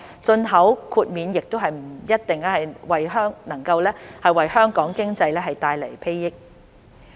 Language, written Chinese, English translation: Cantonese, 進口豁免亦不一定能為香港經濟帶來裨益。, The import exemption may not necessarily bring benefits to the Hong Kong economy